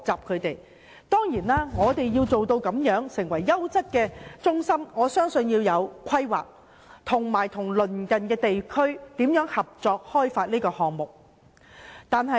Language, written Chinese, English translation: Cantonese, 香港要提供優質養老中心，我相信必須有規劃和與鄰近地區合作和進行開發工作。, In Hong Kong if we are to provide quality elderly care centres I believe we must have planning and cooperate with neighbouring regions in such development work